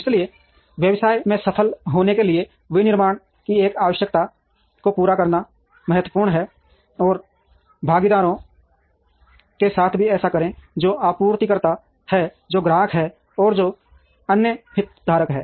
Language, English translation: Hindi, So, in order to be successful in the business, it is important to meet these requirements of manufacturing, and also do this with the partners, who are suppliers who are customers and who are other stake holders